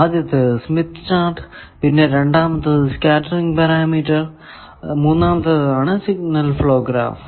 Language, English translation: Malayalam, First was Smith chart; the second was scattering parameter; the third is signal flow graph